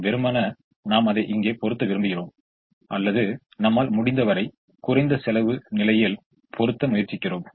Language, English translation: Tamil, ideally we would like to put it here, or try to put as much as we can in the least cost position